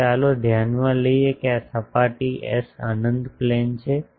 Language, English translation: Gujarati, So, let us consider that this surface S is an infinite plane